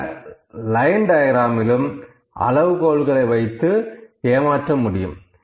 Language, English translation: Tamil, In line diagram also we can cheat with the scales